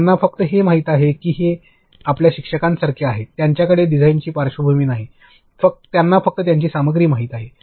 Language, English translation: Marathi, They just know it is like your teachers, they do not have a background in design; they just know their content that is it